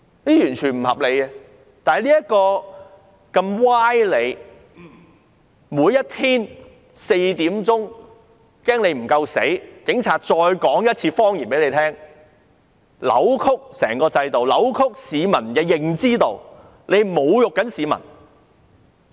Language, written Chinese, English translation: Cantonese, 現在，警察還怕大家聽不到這些歪理，每天下午4時也要再說一次謊言，扭曲整個制度、扭曲市民的認知，這是在侮辱市民。, Fearing that we have not heard enough of their false reasoning the Police are repeating their lies at 4col00 pm every day . They have twisted the entire system and distorted peoples understanding . This is an insult to the people